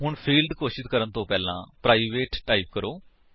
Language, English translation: Punjabi, So, before the field declarations, type: private